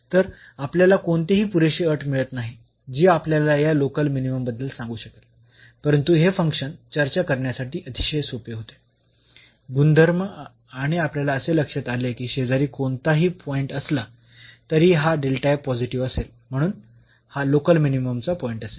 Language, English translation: Marathi, So, we could not get any sufficient condition, which can tell us about this local minimum, but this function was very easy to discuss directly, the behavior and we realized that whatever point be taking the neighborhood the function this delta f will be positive and hence, this is a point of local minimum